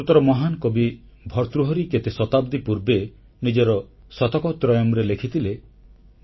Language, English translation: Odia, Centuries ago, the great Sanskrit Poet Bhartahari had written in his 'Shataktrayam'